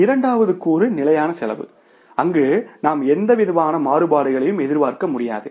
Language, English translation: Tamil, Second component is a fixed cost, they would not expect any kind of the variances